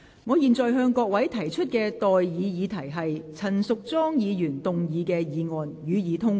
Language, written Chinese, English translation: Cantonese, 我現在向各位提出的待議議題是：陳淑莊議員動議的議案，予以通過。, I now propose the question to you and that is That the motion moved by Ms Tanya CHAN be passed